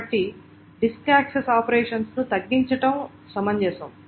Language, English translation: Telugu, So it makes sense to reduce the number of disk access operations